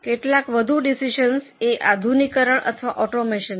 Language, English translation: Gujarati, Some more decisions are modernization or automation decision